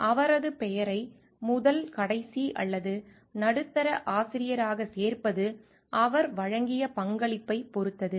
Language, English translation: Tamil, Inclusion of his or her name in as the first last or middle authors depends upon the contribution made by him